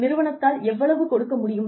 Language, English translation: Tamil, How much can the company afford